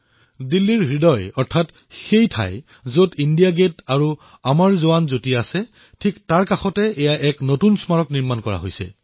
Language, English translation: Assamese, This new memorial has been instituted in the heart of Delhi, in close vicinity of India Gate and Amar JawanJyoti